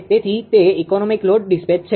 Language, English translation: Gujarati, So, that is economic load dispatch